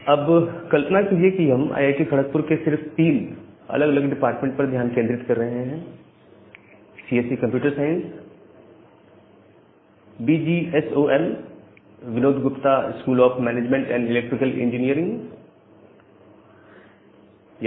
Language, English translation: Hindi, Now, assume that we are just concentrating on three different departments of IIT Kharagpur CSE Computer Science, VGSOM Vinod Gupta School of Management, and Electrical Engineering EE